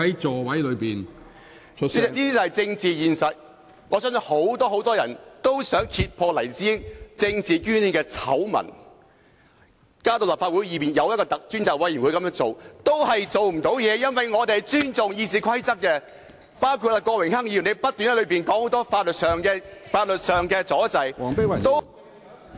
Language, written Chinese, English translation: Cantonese, 這便是政治現實，我相信很多人也想揭破黎智英政治捐獻的醜聞，把事件提交立法會便是要透過委員會作出調查，但最後卻不能做到，因為我們尊重《議事規則》，亦包括郭榮鏗議員不斷提出很多法律上的問題，造成阻滯......, This is precisely the political reality . I believe many people wished to uncover the scandal of political donations from Jimmy LAI and the purpose of referring this incident to the Legislative Council was to carry out an investigation through the committee but eventually in vain . It was because we respected the Rules of Procedure RoP and there was also Mr Dennis KWOK continuously raising many points of law and causing obstacles